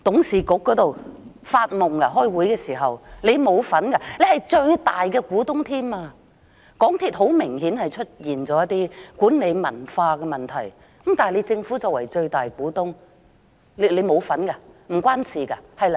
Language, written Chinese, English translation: Cantonese, 政府甚至是最大的股東，港鐵公司很明顯出現了一些管理文化的問題，但政府作為最大的股東，沒有參與嗎？, When it is most obvious that there are some problems in the management culture of MTRCL does the Government being the largest shareholder have no involvement at all and care nothing about it?